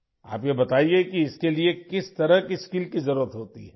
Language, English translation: Urdu, Tell us what kind of skills are required for this